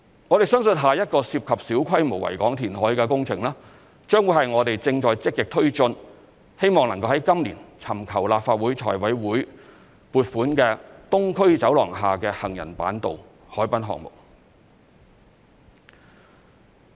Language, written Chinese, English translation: Cantonese, 我們相信下一個涉及小規模維港填海的工程，將會是我們正在積極推進、希望能夠在今年尋求立法會財務委員會撥款的"東區走廊下之行人板道"海濱項目。, We believe that the next project involving small - scale reclamation is a boardwalk underneath the Island Eastern Corridor a harbourfront project which we are actively pursuing and hope to seek funding approval from the Finance Committee of the Legislative Council this year